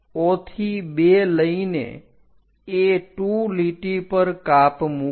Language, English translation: Gujarati, From O to 2 make a cut on A2 line